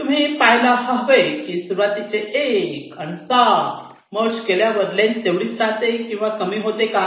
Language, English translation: Marathi, if you merge one and seven your length remains same or or it reduces